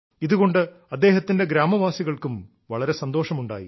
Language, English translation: Malayalam, This brought great happiness to his fellow villagers too